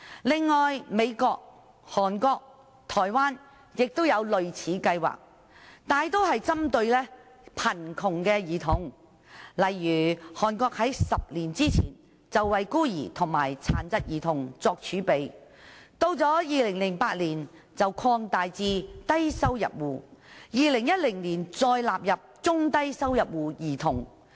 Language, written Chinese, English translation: Cantonese, 此外，美國、韓國、台灣也有類似計劃，大多數是針對貧窮兒童，例如韓國在10年前為孤兒和殘疾兒童作儲備，到2008年，更擴大至低收入戶 ，2010 年再納入中低收入戶兒童。, In addition similar schemes are also available in the United States Korea and Taiwan mostly targeting poor children . For instance a reserve was already provided for orphans and children with disabilities in Korea more than a decade ago . The reserve was later extended to cover low - income households and further include children from low - and middle - income households in 2008 and 2010 respectively